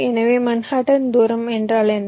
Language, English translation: Tamil, so, as i said, what is manhattan distance